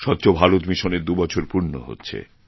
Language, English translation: Bengali, Swachchh Bharat Mission is completing two years on this day